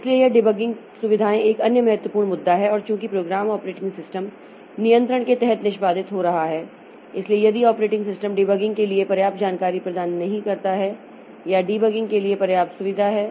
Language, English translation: Hindi, So, this way this debugging facilities are another important issue and since the program is executing under operating systems control, so if the operating system does not provide enough information for debugging then or enough facility for debugging, so it is very difficult for the user to do the debugging operation